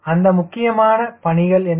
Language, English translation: Tamil, what are those important task